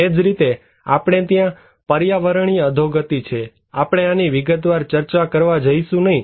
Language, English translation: Gujarati, Similarly, we have environmental degradations; we are not going to discuss in detail of these